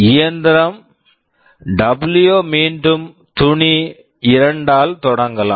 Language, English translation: Tamil, W can start with cloth 2